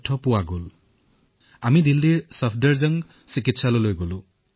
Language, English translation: Assamese, We went to Safdarjung Hospital, Delhi